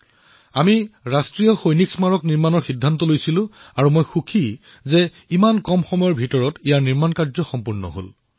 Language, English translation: Assamese, We decided to erect the National War Memorial and I am contented to see it attaining completion in so little a time